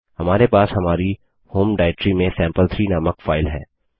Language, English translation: Hindi, We have a file named sample3 in our home directory